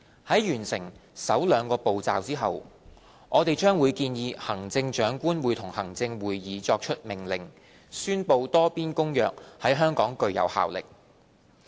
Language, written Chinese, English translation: Cantonese, 在完成首兩個步驟後，我們將建議行政長官會同行政會議作出命令，宣布《多邊公約》在香港具有效力。, After finishing the first two steps we will recommend the Chief Executive in Council to make an order to declare that the Multilateral Convention shall have effect in Hong Kong